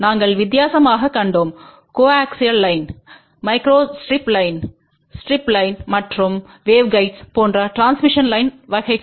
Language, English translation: Tamil, We saw different types of transmission line like coaxial line, microstrip line, strip line and waveguides